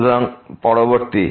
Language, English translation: Bengali, So, the next